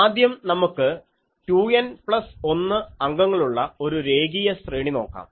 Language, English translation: Malayalam, Now, first let us look at a line array with 2 N plus 1 elements